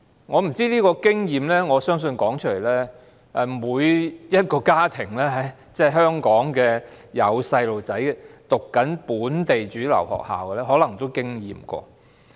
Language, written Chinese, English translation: Cantonese, 我相信這種經驗，香港每一個有小朋友正在唸本地主流學校的家庭，也可能經歷過。, I believe that every Hong Kong family with a child studying in a local mainstream school may have similar experience